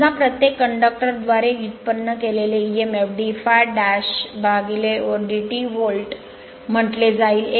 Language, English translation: Marathi, Now, suppose emf generated per conductor will be say d phi dash by dt volt right